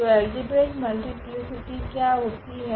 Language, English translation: Hindi, So, what is the algebraic multiplicity